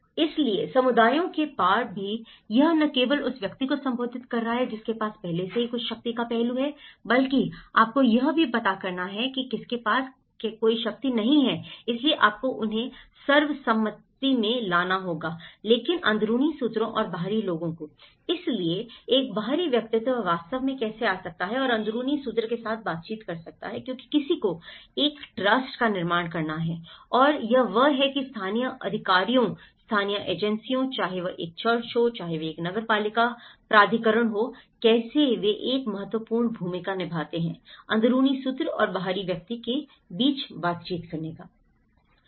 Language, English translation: Hindi, So, even across the communities, it is not just only addressing the person who already have certain power aspect but you also have to address who is not having any power so, you have to bring them into the consensus but insiders and outsiders; so how an outsider can actually come and interact with the insider because one has to build a trust and that is where local authorities, local agencies, whether it is a church, whether it is a municipal authority, how they play an a vital role in bringing an interaction between an insider and outsider